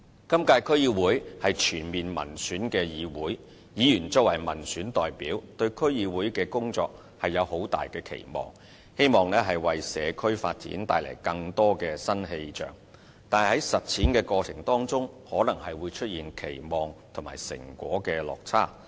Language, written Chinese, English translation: Cantonese, 今屆區議會是全面民選的議會，議員作為民選代表，對區議會的工作有很大的期望，希望為社區發展帶來更多新氣象，但在實踐的過程當中可能出現期望與成果的落差。, All DCs are fully elected for the current term of office . As elected representatives members have high expectations for the work of DCs hoping that more new insights may be injected into community development . But in the delivery process a gap may arise between expectations and results